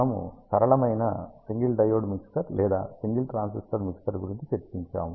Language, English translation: Telugu, We discussed about simplest single diode mixer or single transistor mixer